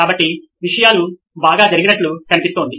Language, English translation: Telugu, So it looks like things went well